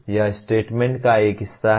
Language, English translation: Hindi, That is one part of the statement